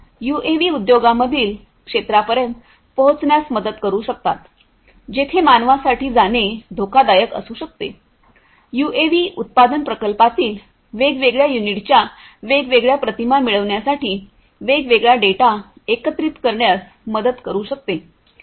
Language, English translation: Marathi, UAVs could help in reaching out to areas in the industries, which could be hazardous for human beings to go UAVs could help in collecting different data for acquiring different images of different units in a manufacturing plant